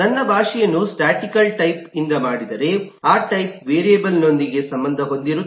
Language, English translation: Kannada, If my language is statically typed, then the type is associated with the variable